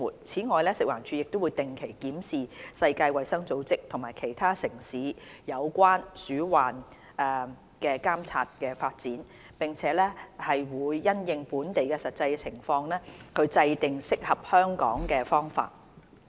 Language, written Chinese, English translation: Cantonese, 此外，食環署會定期檢視世界衞生組織及其他城市有關鼠患監察的發展，並因應本地實際情況制訂適合香港的方法。, Besides FEHD will regularly review the latest measures adopted by the World Health Organization WHO and other cities for rodent surveillance and work out suitable measures for Hong Kong having regard to our actual situation